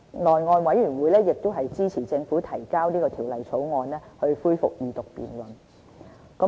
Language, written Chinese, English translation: Cantonese, 內務委員會亦支持政府提交這項《條例草案》，恢復二讀辯論。, The House Committee also supported the Governments submission of the Bill and the resumption of the Second Reading debate